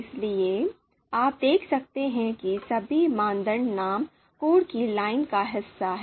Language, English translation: Hindi, So you can see all the all the criteria all the criteria names are part of this this line of code